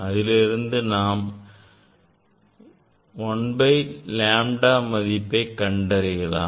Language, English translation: Tamil, from there you can find out 1 by lambda